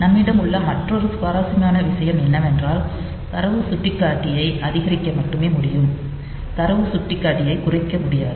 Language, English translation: Tamil, So, the only another interesting thing that we have is that we can only increment that data pointer we cannot decrement the data pointer